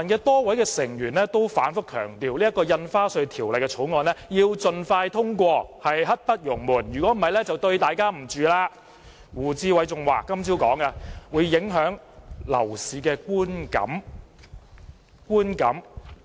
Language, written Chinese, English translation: Cantonese, 多位泛民議員均反覆強調《條例草案》應盡快通過，刻不容緩，否則便對不起市民，胡志偉議員今早更說這樣會影響市民對樓市的觀感。, A number of pan - democratic Members have repeatedly stressed that the Bill should be passed as soon as possible; otherwise they would let the public down . Mr WU Chi - wai even said this morning that this would affect the publics perception of the property market